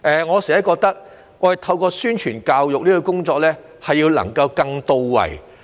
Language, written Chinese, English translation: Cantonese, 我總覺得宣傳教育工作要更到位。, I often find that publicity and education work should be more on point